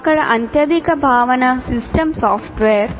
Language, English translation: Telugu, We have here the highest concept is system software